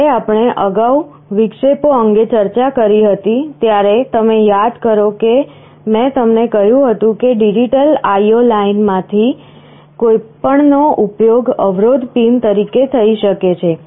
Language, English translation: Gujarati, When we discussed interrupts earlier, you recall I told you that any of the digital IO lines can be used as an interrupt pin